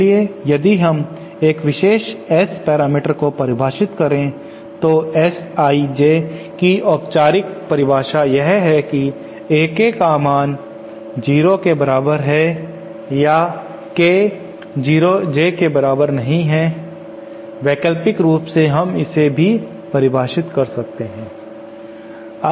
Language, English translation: Hindi, So if we want to define a particular S parameter then the definition the formal definition of S I J is with A K equal to 0 or K not equal to J, alternatively we can also define it as